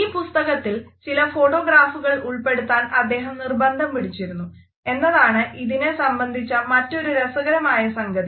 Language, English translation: Malayalam, Another interesting aspect which is related with the publication of this book is the fact that he had insisted on putting certain photographs in the book